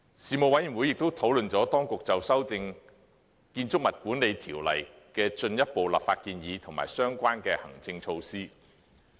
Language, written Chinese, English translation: Cantonese, 事務委員會亦討論了當局就修訂《建築物管理條例》的進一步立法建議及相關行政措施。, The Panel also discussed the Governments further legislative proposals to update the Building Management Ordinance and the related administrative measures